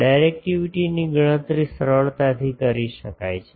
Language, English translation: Gujarati, Directivity can be easily calculated